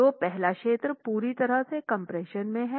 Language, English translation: Hindi, So, the first zone is purely in compression